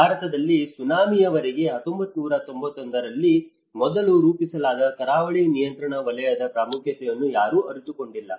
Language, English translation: Kannada, In India, until the Tsunami, no one have realized the importance of coastal regulation zone which was earlier formulated in 1991